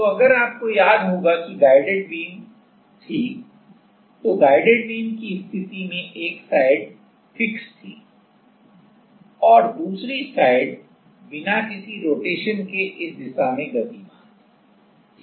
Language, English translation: Hindi, So, if you remember guided beam was guided beam was the case where one side is fixed and another side was moving without any rotation at the set or any movement in this direction